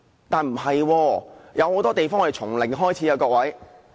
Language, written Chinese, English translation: Cantonese, 但是，很多時候我們都要從零開始。, But very often we have to start from zero